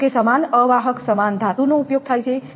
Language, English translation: Gujarati, Although same insulator same metal is used